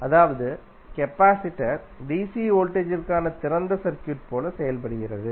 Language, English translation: Tamil, That means the capacitor acts like an open circuit for dC voltage